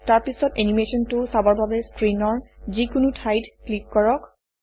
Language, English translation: Assamese, Then click anywhere on the screen to view the animation